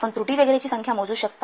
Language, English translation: Marathi, You can count the number of errors, etc